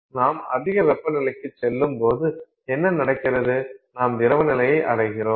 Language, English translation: Tamil, Now, what happens is generally as you go to higher temperatures you are going to have the liquid phase